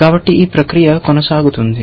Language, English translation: Telugu, So, this process continues